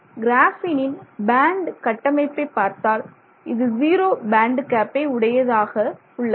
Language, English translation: Tamil, So, if you look at the band structure of graphene you find that it has a zero band gap